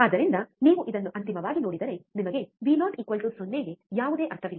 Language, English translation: Kannada, So, if you see this finally, you get Vo equals to 0 has no meaning